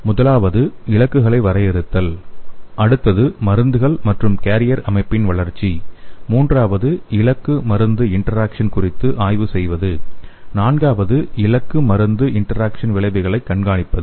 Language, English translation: Tamil, The first one is defining the targets, the next one is development of drugs and carrier system, the third one is studying the target drug interaction, and the fourth one is monitoring the target drug interaction outcomes